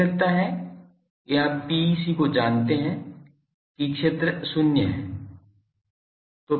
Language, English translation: Hindi, I think you know PEC inside that the fields are 0